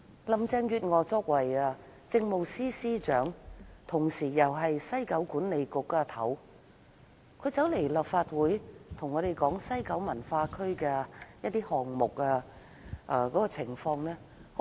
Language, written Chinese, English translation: Cantonese, 林鄭月娥作為當時的政務司司長，同時又是西九管理局的主席，她來到立法會向議員講述西九文化區的項目情況時，十分虛偽。, Carrie LAM was the Chief Secretary for Administration and the Chairman of WKCDA at that time . Yet she was very hypocritical when she came to the Legislative Council to inform Members of progress of the WKCD Project